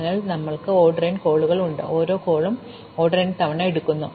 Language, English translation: Malayalam, So, we have order n calls and each call takes order n times